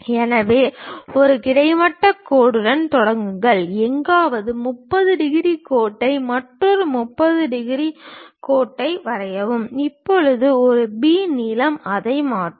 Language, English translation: Tamil, So, begin with a horizontal line, somewhere draw a 30 degrees line another 30 degrees line, now A B length transfer it